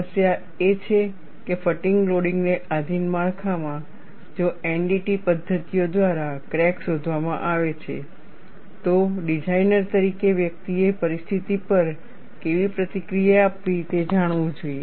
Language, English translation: Gujarati, The issue is, in structures subjected to fatigue loading, if a crack is detected by NDT methods, as a designer one should know how to react to the situation